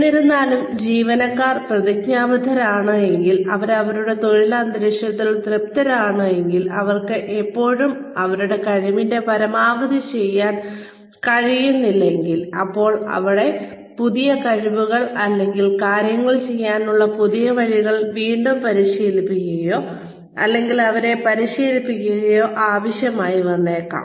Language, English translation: Malayalam, However, if the employees are committed, and they are satisfied with their work environment, and they are still not able to perform, to the best of their abilities; then, a need to re train them, or to train them, in newer skills, and newer ways of doing things, may be there